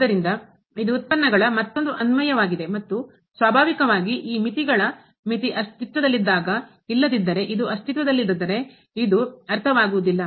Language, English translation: Kannada, So, it is a another application of the derivatives and naturally when this limit the limit of the derivatives exist, otherwise this does not make sense if the this does not exist